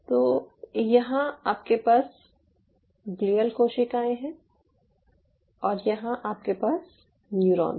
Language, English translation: Hindi, so here you have the glial cells, here you have the neurons